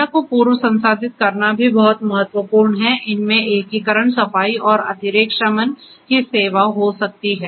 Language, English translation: Hindi, It is also very important to pre process the data for serving this different needs integration cleaning and redundancy mitigation